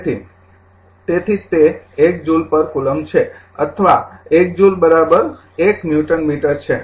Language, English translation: Gujarati, So, that is why it is 1 joule per coulomb or 1 joule is equal to your 1 Newton meter